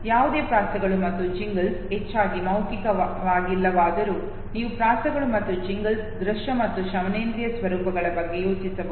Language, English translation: Kannada, Although no Rhymes and Jingles are mostly verbal you can think of a visual and auditory formats of rhymes and jingles